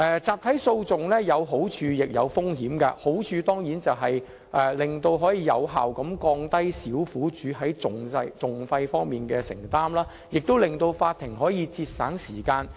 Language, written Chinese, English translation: Cantonese, 集體訴訟有好處亦有風險，好處當然是可以有效降低小苦主在訟費方面的承擔，也可節省法庭的時間。, A class action regime can bring both benefits and risks . One benefit is that it can effectively relieve the litigation costs borne by victims and save court time